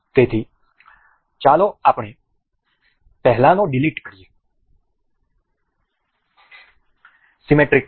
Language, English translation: Gujarati, So, let us just delete the earlier ones; symmetric mate